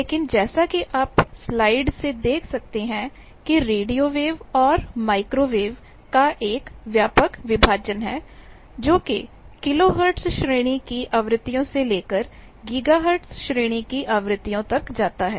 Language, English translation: Hindi, So, all these are part of electromagnetic spectrum, but as you can see from the slide that there is a broad division of radio waves and micro waves, which roughly we can say from kilohertz sort of frequencies to gigahertz sort of frequencies